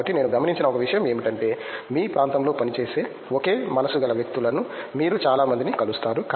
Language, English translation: Telugu, So, one thing I noticed was as people already said you get to meet lot of people, like minded people that are working in your area